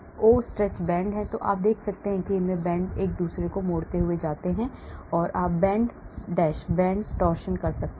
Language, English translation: Hindi, stretch bend, so you see that the terms come in here multiplying each other bend bend, you can have bend bend torsion